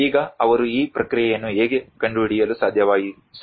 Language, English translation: Kannada, Now, how do they able to figure out this process